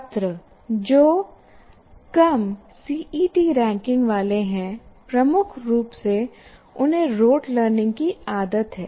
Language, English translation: Hindi, Students with low CET ranking habituated to road learning